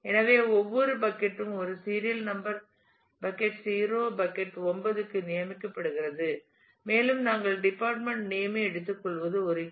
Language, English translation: Tamil, So, every bucket is designated by a by a serial number bucket 0 to bucket 9 and we take department name is a key